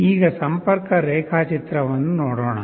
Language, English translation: Kannada, Let us look at the connection diagram